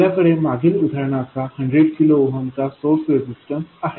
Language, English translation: Marathi, We have a source resistance of 100 kohm in our previous example